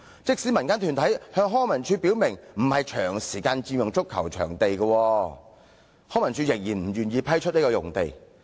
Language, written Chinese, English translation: Cantonese, 即使民間團體向康文署表明不會長時間佔用該幅足球場用地，康文署仍然不願意批出用地。, Even though the community organization promised LCSD that it would not occupy the pitch for a long time LCSD still did not give approval